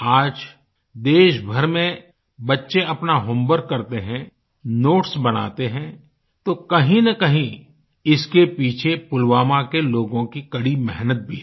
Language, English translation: Hindi, Today, when children all over the nation do their homework, or prepare notes, somewhere behind this lies the hard work of the people of Pulwama